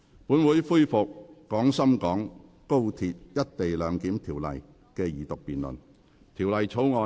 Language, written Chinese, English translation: Cantonese, 本會恢復《廣深港高鐵條例草案》的二讀辯論。, This Council resumes the Second Reading debate on the Guangzhou - Shenzhen - Hong Kong Express Rail Link Co - location Bill